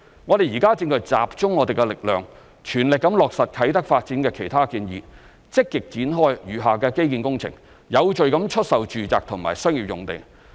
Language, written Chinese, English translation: Cantonese, 我們現正集中力量全力落實啟德發展的其他建議，積極展開餘下基建工程，有序地出售住宅及商業用地。, Now we are focusing our efforts on the full implementation of other proposals for the development of Kai Tak actively rolling out the remaining infrastructure projects and selling the residential and commercial sites in an orderly manner